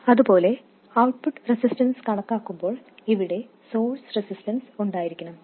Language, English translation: Malayalam, Similarly, while calculating the output resistance, the source resistance here must be in place